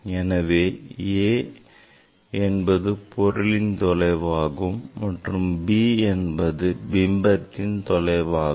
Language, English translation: Tamil, as it is the length this the a is the object distance and b is the image distance